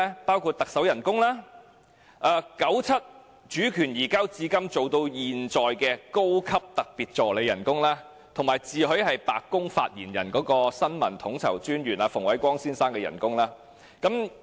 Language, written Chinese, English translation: Cantonese, 包括行政長官薪酬、由九七主權移交一直任職至今的高級特別助理的薪酬，以及自詡香港"白宮發言人"的新聞統籌專員馮煒光先生的薪酬。, It covers the Chief Executives emoluments the emoluments of the Senior Special Assistant who has been on the job since the handover of sovereignty in 1997 as well as the emoluments of Mr Andrew FUNG Information Coordinator and self - proclaimed White House Press Secretary